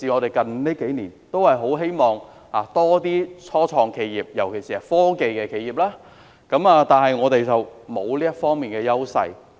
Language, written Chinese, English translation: Cantonese, 最近幾年，我們都很希望香港有多些初創企業，尤其是科技企業，但我們沒有這方面的優勢。, In recent years we earnestly hope that Hong Kong can have more start - ups particularly technology enterprises but we have no advantage in this regard